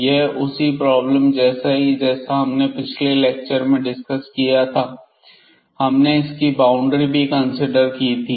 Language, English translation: Hindi, So, basically this is similar to the problem we have discussed in the previous lecture where, we had taken the boundaries into the consideration